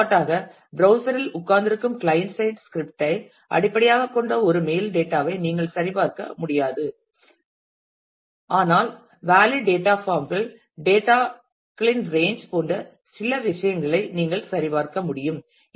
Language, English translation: Tamil, You cannot for example, validate a mail data based on the client side scripting sitting on the browser, but you can validate small things like valid data forms, range of data and so, on